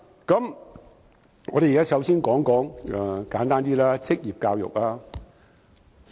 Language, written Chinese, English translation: Cantonese, 簡單點，首先我想談論職業教育。, To make things simple I will first discuss vocational training